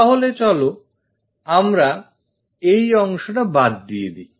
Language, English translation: Bengali, So, let us remove this portion